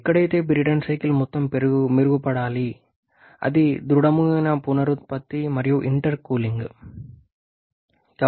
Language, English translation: Telugu, Where of course Brayton cycle needs to have all its improvement; that is a rigid regeneration and also intercooling